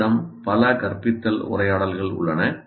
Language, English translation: Tamil, You have several instructional conversations